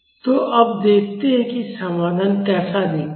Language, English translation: Hindi, So, now let us see how the solution looks like